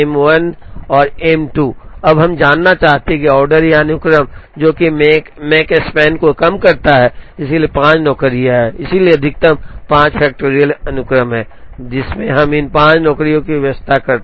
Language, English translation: Hindi, Now, we want to find out, the order or sequence, which minimizes the Makespan, so there are 5 jobs, so there are maximum of 5 factorial sequences, in which we can arrange these 5 jobs